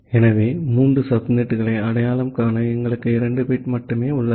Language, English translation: Tamil, So, to create three subnets indeed, we require 3 bits and not 2 bits